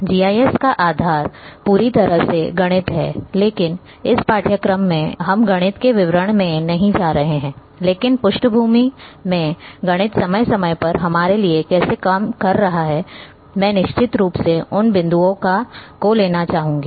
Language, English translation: Hindi, The basis of GIS is completely mathematics, but in this course, we are not going to go into the details of mathematics, but how mathematics in background is working for us time to time I would be definitely bringing those points